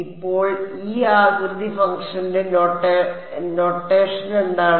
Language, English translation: Malayalam, So, this what is the notation for this shape function